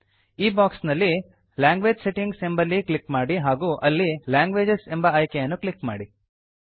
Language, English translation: Kannada, In this box, we will click on Language Settings and then Languages option